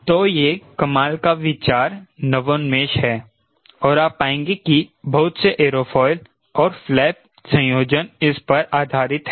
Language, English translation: Hindi, so this is one of the fantastic third process innovation and you will find may aerofoil and flap combinations are based on this